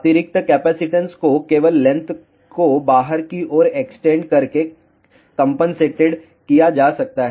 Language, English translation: Hindi, The additional capacitance can be compensated by simply extending the length outwards